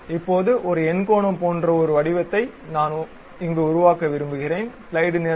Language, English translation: Tamil, So, I would like to have something like circle, something like polygon